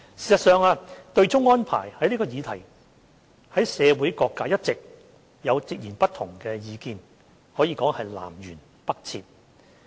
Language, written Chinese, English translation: Cantonese, 事實上，對沖安排這項議題在社會各界一直有截然不同的意見，可謂南轅北轍。, In fact different sectors of the community have divergent views about the offsetting arrangement which are poles apart so to speak